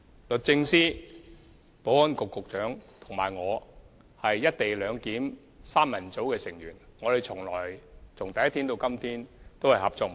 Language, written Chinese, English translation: Cantonese, 律政司司長、保安局局長和我是"一地兩檢"三人組的成員，由第一天開始至今一直合作無間。, The Secretary for Justice the Secretary for Security and I have been working together closely from the very first day as the trio to take forward the tasks of implementing the co - location arrangement